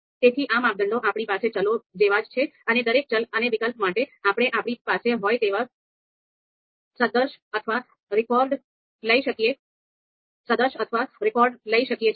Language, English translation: Gujarati, So these criteria is very akin to you know the variables that we have and you know for each variables and the alternatives we can you know take analogy of records that we have